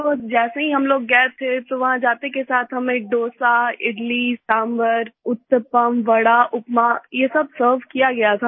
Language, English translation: Hindi, So as soon as we went there we were served Dosa, Idli, Sambhar, Uttapam, Vada, Upma